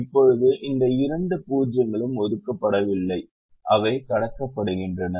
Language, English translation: Tamil, now these two zeros are not assigned and they are crossed